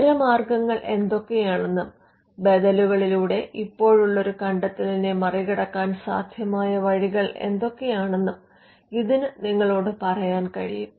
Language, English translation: Malayalam, It can also tell you what are the alternates or or what are the possible ways in which a invention can be overcome through alternatives